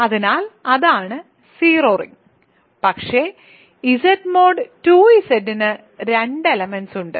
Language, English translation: Malayalam, So, that is the ring 0 ring, but Z mod 2 Z has 2 elements Z mod 3 Z has 3 elements and so on